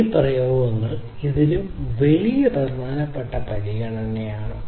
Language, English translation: Malayalam, So, this is a very important consideration in many of these applications